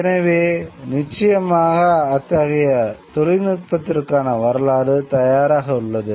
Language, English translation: Tamil, So certainly history is ready for this kind of a technology